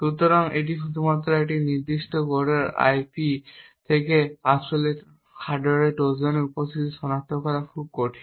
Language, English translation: Bengali, So, therefore just by actually looking at the code of a particular IP, it is very difficult to actually detect the presence of a hardware Trojan